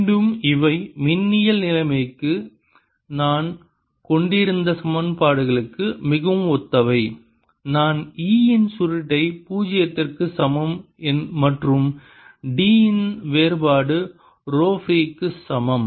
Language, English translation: Tamil, both, again, these are very similar to the equations we had for electrostatic situation, where i had curl of e, zero and divergence of d equals rho free